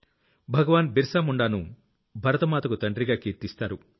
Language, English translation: Telugu, Bhagwan Birsa Munda is also known as 'Dharti Aaba'